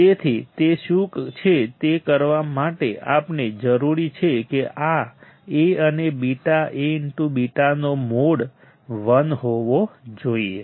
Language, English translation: Gujarati, So, to do that what is the what is the thing that we require that this A and beta the mode of A beta should be 1